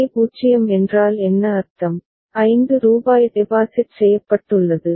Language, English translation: Tamil, If J is 0 what does it mean, rupees 5 has been deposited